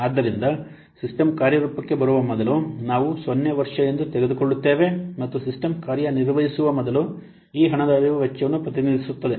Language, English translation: Kannada, So, before the system is in operation that we take as year zero, year zero, and this cash flow represents the cost before the system is in operation